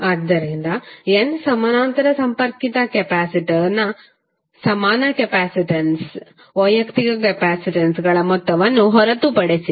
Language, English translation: Kannada, So what you can say, equivalent capacitance of n parallel connected capacitor is nothing but the sum of the individual capacitances